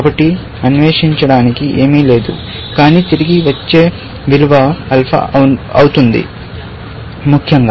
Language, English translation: Telugu, So, there is nothing left to explore, but the return value would be alpha, essentially